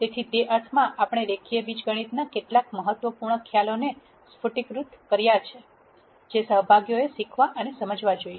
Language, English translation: Gujarati, So, in that sense we have crystallized a few important concepts from linear algebra that the participants should learn and understand